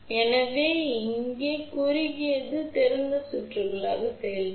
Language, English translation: Tamil, So, short here will act as open circuit